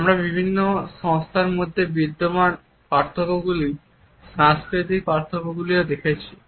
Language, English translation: Bengali, We have also looked at the cultural differences the differences which exist in different organizations